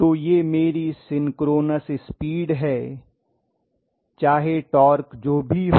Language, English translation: Hindi, So this is my synchronous speed no matter what whatever is my torque